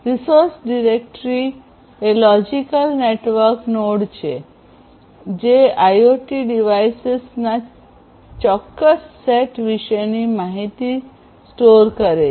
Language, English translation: Gujarati, So, a resource directory is a logical network node that stores the information about a specific set of IoT devices